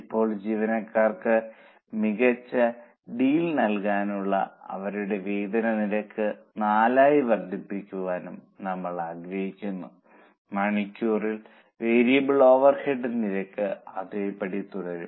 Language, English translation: Malayalam, Now we want to give a better deal to employees and increase their wage rate to 4, the hourly variable over rate will remain same